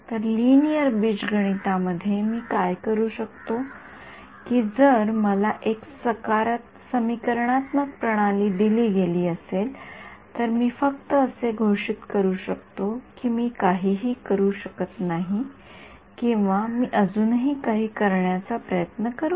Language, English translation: Marathi, So, what I could do is in linear algebra if I am presented with an underdetermined system of equations, do I just declare that I cannot do anything or do I still try to do something